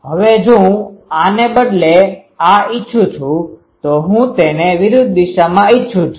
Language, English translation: Gujarati, Now, if I want it instead of these, I want it in the opposite direction